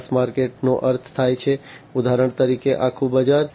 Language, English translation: Gujarati, Mass market means, like for instance you know the whole market right